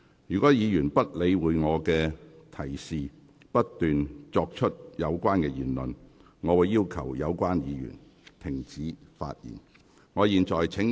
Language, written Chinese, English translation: Cantonese, 如議員不理會我的提示，不斷作出該等言論，我會要求有關議員停止發言。, If the Member ignores my instruction and continues to make such comments I will ask the Member to stop speaking